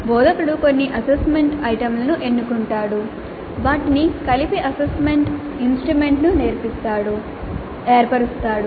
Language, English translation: Telugu, The instructor selects certain assessment items, combines them to form the assessment instrument